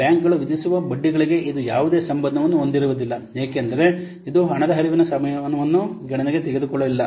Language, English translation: Kannada, So it does not bear any relationship to the interest rates which are charged by the banks since it doesn't take into account the timing of the cash flows